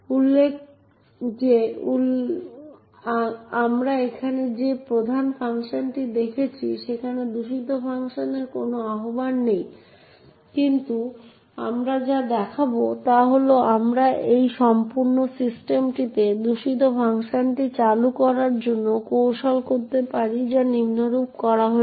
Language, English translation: Bengali, Note that, the main function we see over here there is no invocation of malicious function but what we will show is that we can trick this entire system into invoking the malicious function, let say this as follows